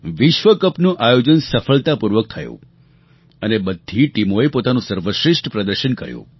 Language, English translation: Gujarati, The world cup was successfully organized and all the teams performed their best